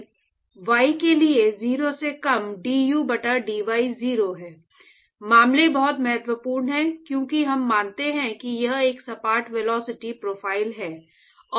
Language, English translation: Hindi, So, for y less than 0 d u by d y is 0, cases very important because we assume that it is a flat velocity profile and